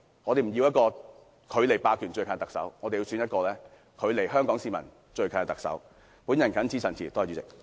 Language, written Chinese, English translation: Cantonese, 我們不要距離霸權最近的特首，我們要選出一個距離香港市民最近的特首。, We do not want a chief executive who is closest to hegemony and that is why we have to elect a Chief Executive who is closest to Hong Kong people